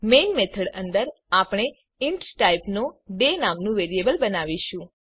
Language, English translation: Gujarati, Inside the main method, we will create a variable day of type int